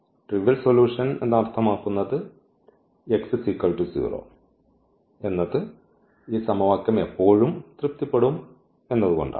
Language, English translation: Malayalam, So, meaning this non trivial solution because x is equal to 0 will always satisfy this equation